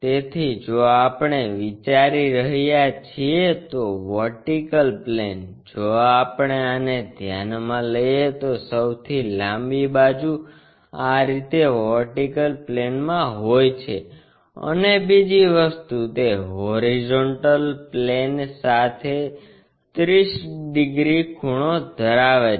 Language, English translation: Gujarati, So, vertical plane if we are considering, if we are considering this one the longest side is in the vertical plane in this way and the second thing is, it is 30 degrees inclined to horizontal plane